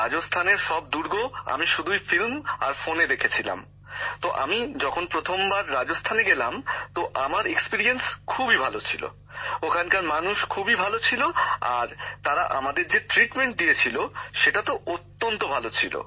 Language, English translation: Bengali, I had seen all these forts of Rajasthan only in films and on the phone, so, when I went for the first time, my experience was very good, the people there were very good and the treatment given to us was very good